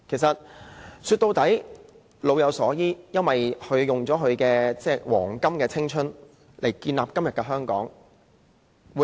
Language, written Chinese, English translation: Cantonese, 說到底，安老就是老有所依，因為長者用了自己青春的黃金歲月來建立今天的香港。, In the end it means providing reliance for elderly persons because they spent their prime building todays Hong Kong